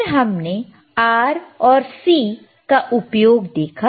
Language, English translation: Hindi, Then we have seen the use of R and C right